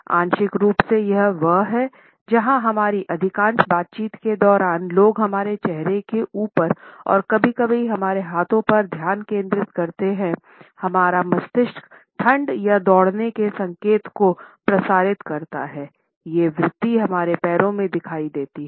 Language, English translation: Hindi, Partially it is there because during most of our interactions people tend to focus on our face and sometimes on our hands; our brain transmits a signals of freezing or running these instincts are visible in our legs